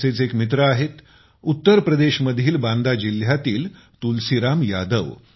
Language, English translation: Marathi, One such friend is Tulsiram Yadav ji of Banda district of UP